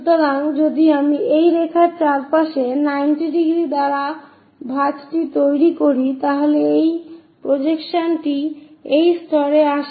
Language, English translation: Bengali, So, if I am making that fold by 90 degrees around this line, then this projection comes to this level